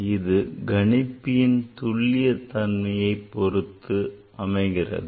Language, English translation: Tamil, So, it depends on the accuracy of the of the calculator